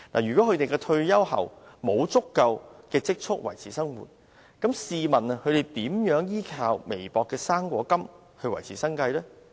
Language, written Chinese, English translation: Cantonese, 如果他們在退休後沒有足夠的積蓄維持生活，試問他們如何依靠微薄的高齡津貼來維持生計？, With the ever - rising Composite Consumer Price Index how can they rely on the meagre Old Age Allowance for a living in retirement if they do not have enough savings?